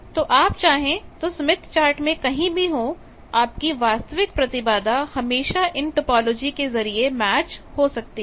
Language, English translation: Hindi, So, all possible wherever you are in the smith chart in the original impedance always it can be matched by these topologies